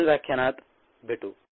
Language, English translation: Marathi, see you in the next lecture